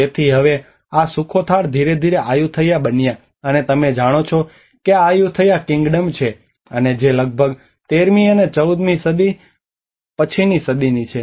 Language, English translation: Gujarati, So now this Sukhothai have gradually becomes the Ayutthaya you know this is the Ayutthaya Kingdom and which is about a century after 13th and 14th century